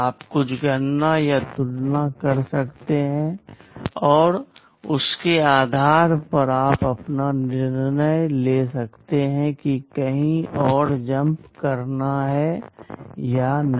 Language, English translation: Hindi, You can make some calculations or comparisons, and based on that you can take your decision whether to jump somewhere else or not